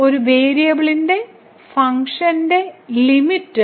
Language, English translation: Malayalam, So, Limit of a Function of One Variable